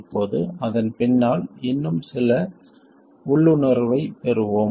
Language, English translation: Tamil, Now, let's get some more intuition behind it